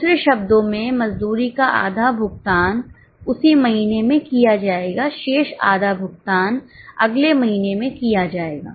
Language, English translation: Hindi, In other words, half of the wages will be paid in the same month, remaining half is paid in the next month